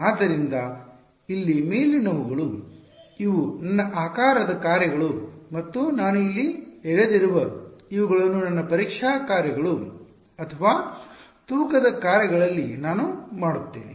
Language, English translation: Kannada, So, these above over here these are my shape functions and these guys that I have drawn over here these are what I will make into my testing functions or weight functions